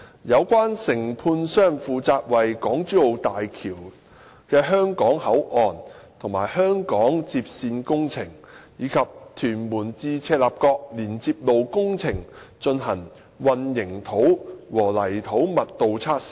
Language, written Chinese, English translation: Cantonese, 有關承判商負責為港珠澳大橋的香港口岸及香港接線工程，以及屯門至赤鱲角連接路工程進行混凝土和泥土密度測試。, The contractor concerned is responsible for conducting concrete compression tests and soil density tests under the Hong Kong - Zhuhai - Macao Bridge HZMB Hong Kong Boundary Crossing Facilities and Hong Kong Link Road projects as well as Tuen Mun - Chek Lap Kok Link project